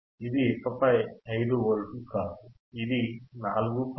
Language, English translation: Telugu, It is not 5 Volts anymore, it is 4